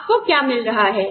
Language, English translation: Hindi, What do you get